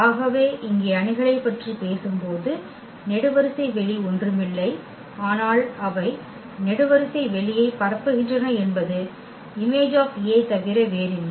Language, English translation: Tamil, So, when we talk about the matrices here the column space is nothing but they will span the column space is nothing but the image of A